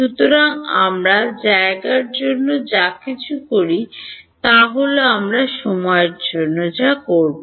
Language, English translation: Bengali, So, whatever we do for space is what we will do for time